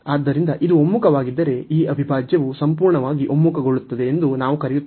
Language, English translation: Kannada, So, if this converges, then we call that this integral converges absolutely